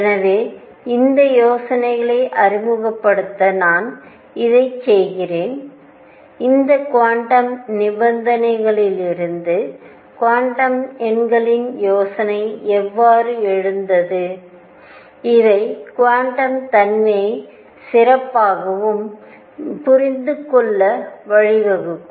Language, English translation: Tamil, So, these are ideas I am just doing it to introduce to the ideas, how the idea of quantum numbers arose from these quantum conditions and these are going to lead us to understand the quantum nature better and better